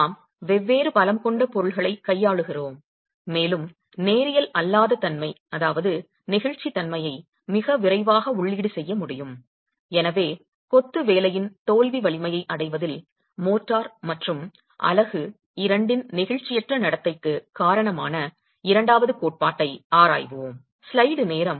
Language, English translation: Tamil, We are dealing with materials which have different strengths and can enter non linearity and elasticity quite early and therefore we will examine a second theory which accounts for the inelastic behavior of both the motor and the unit in arriving at the failure strength of the Mason rate cell